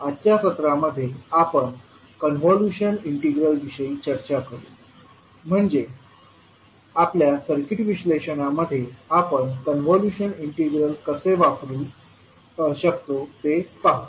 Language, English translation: Marathi, Namashkar, so in today’s session we will discuss about convolution integral, so we will see how we can utilise convolution integral in our circuit analysis